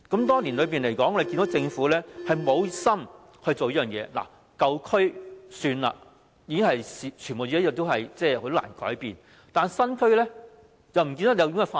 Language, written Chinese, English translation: Cantonese, 多年來，我們看到政府無心做這件事，舊區也算了，已經很難改變，但是，新區也不見得有這種發展。, Over the years we have seen the Governments lack of enthusiasm in doing this . We may forget about the old areas which are difficult to change but we did not see this kind of development in the new areas either